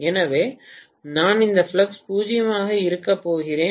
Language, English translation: Tamil, So, I am going to have essentially this flux to be 0